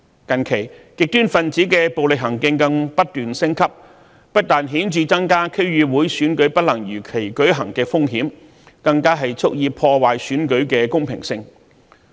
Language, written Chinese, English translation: Cantonese, 近期極端分子的暴力行徑更不斷升級，不但顯著增加區議會選舉不能如期舉行的風險，更蓄意破壞選舉的公平性。, With an escalation of violence by the extremists lately the risk of not being able to hold the DC Election as scheduled has significantly increased and worse still attempts were made to deliberately undermine the fairness of the election